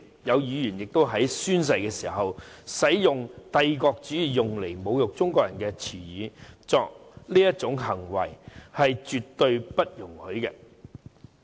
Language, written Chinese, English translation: Cantonese, 有議員在宣誓的時候使用帝國主義用來侮辱中國人的言詞，作出這種行為是絕對不容許的。, Some Members when taking their oaths uttered a word that was used by the imperialists to insult the Chinese people . Such behaviour is absolutely intolerable